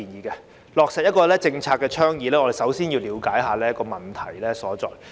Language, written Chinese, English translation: Cantonese, 要落實政策倡議，必須先了解問題所在。, In order to implement the policy initiatives we must first understand where the problems lie